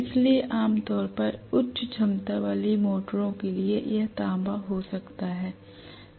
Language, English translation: Hindi, So generally for high capacity motors it may be copper, right